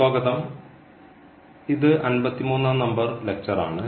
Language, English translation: Malayalam, So, welcome back and this is lecture number 53